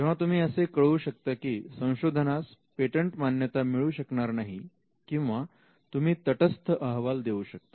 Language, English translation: Marathi, So, you communicate that there is a possibility that the invention may not be granted, or it could be a neutral report